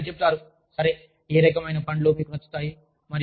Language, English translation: Telugu, Instead, you say, okay, what kinds of fruits, do you like